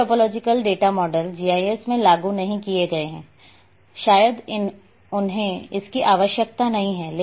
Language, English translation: Hindi, All topological data models have not been implemented in GIS probably they are not required